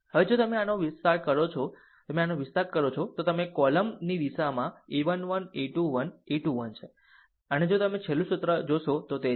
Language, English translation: Gujarati, Now, if you if you expand this, if you expand this, you are in the in the direction of the your column a 1 1, a 2 1, a 3 1 and look it is if the if you see the last formula